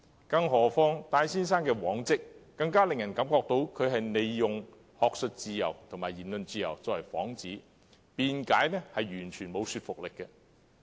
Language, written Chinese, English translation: Cantonese, 根據戴先生的往績，更令人相信他其實想以學術自由和言論自由作為幌子；他的辯解也完全缺乏說服力。, Given Mr TAIs track record people were even more convinced that he actually intended to use academic freedom and freedom of speech as a guise and his excuse was absolutely unconvincing